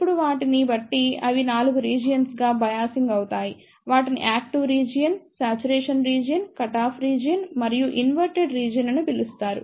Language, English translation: Telugu, Now, depending upon that they can be biased into 4 regions; they are known as Active Region, Saturation Region, Cut off Region and Inverted Region